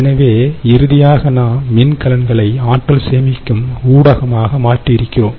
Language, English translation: Tamil, so, finally, we come to batteries as an energy storage medium